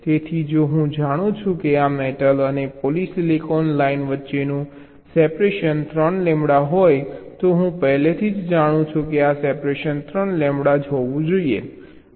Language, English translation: Gujarati, so if i know that the separation between this metal and polysilicon line will be three lambda, then i already know this separation will be three lambda